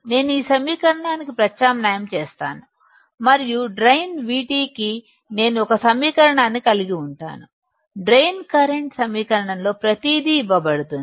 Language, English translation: Telugu, I substitute this equation and I will have a equation for drain current; in the equation of the drain current everything is given